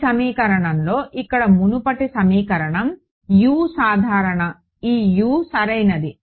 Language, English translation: Telugu, In this equation over here the previous equation over here, U was general this U right